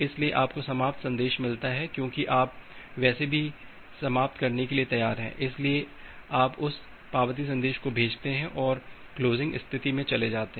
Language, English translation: Hindi, So, you get the finish message because you are anyway ready to finish, so you send that acknowledgement message and move to this closing state